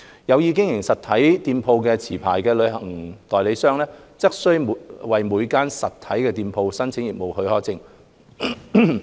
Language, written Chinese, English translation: Cantonese, 有意經營實體店鋪的持牌旅行代理商，則須為每間實體店鋪申請業務許可證。, If a licensed travel agent intends to run physical stores heshe must apply for a business permit for each of hisher physical stores